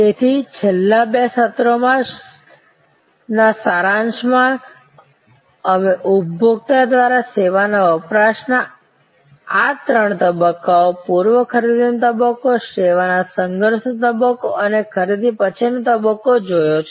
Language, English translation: Gujarati, So, in summary in the last two sessions, we have looked at these three stages of service consumption by the consumer, pre purchase stage, service encounter stage and post encounter stage